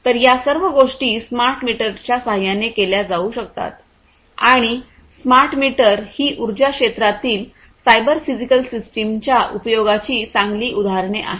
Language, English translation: Marathi, So, all of these things can be performed with the help of smart meters and smart meters are good examples of cyber physical systems and their use in the energy sector